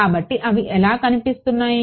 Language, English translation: Telugu, So, what do they look like